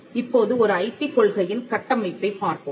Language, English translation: Tamil, Now, let us look at the structure of an IP policy